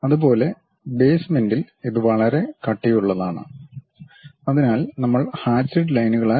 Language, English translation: Malayalam, Similarly at basement it is very thick, so that also we represented by hatched lines